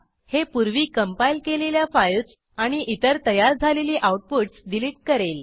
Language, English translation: Marathi, This will delete any previously compiled files and other build outputs